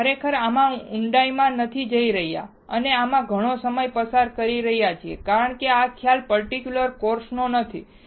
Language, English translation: Gujarati, We are not going really in depth and spending lot of time on this because that is not the idea of this particular course